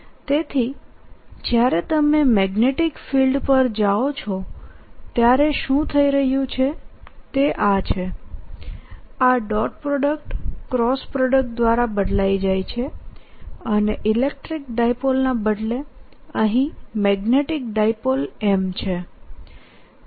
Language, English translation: Gujarati, so what is happening when you go to magnetic field is this dot product is getting replaced by a cross product and instead of the magnetic dipole electric dipole